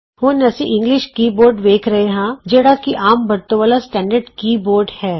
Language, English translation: Punjabi, We now see the English keyboard which is the standard keyboard used most of us